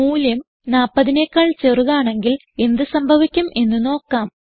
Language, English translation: Malayalam, Let us see what happens if the value is less than 40